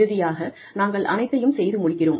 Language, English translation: Tamil, And eventually, we end up doing everything